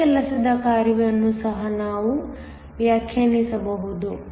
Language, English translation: Kannada, We can also define my work function